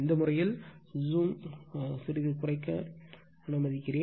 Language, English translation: Tamil, In this case let me let me reduce the zoom little bit